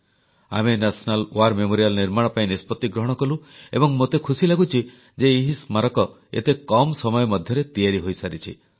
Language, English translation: Odia, We decided to erect the National War Memorial and I am contented to see it attaining completion in so little a time